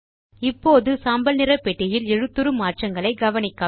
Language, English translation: Tamil, Now notice the font changes in the Writer gray box